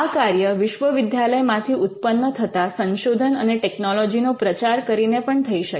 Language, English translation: Gujarati, Now, this could also happen by showcasing research and the technology that has come out of the university